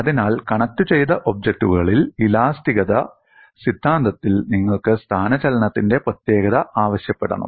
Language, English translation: Malayalam, So, in multiply connected objects, you have to invoke uniqueness of displacement in theory of elasticity